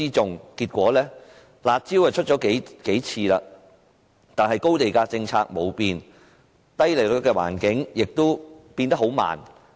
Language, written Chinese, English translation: Cantonese, 雖然政府多次推出"辣招"，但高地價政策卻沒有改變，低利率的環境亦改變得很慢。, Although the Government has introduced rounds of curb measures the high land - price policy has not changed and the low interest rate environment has only changed very slowly